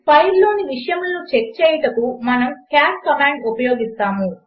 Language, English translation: Telugu, To check the contents of the file, we use the cat command